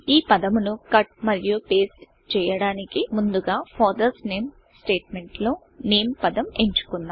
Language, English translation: Telugu, In order to cut and paste this word, first select the word, NAME in the statement, FATHERS NAME